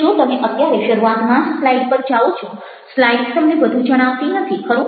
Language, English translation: Gujarati, but if you going to the slides right at the beginning, the slides don't tell you much, right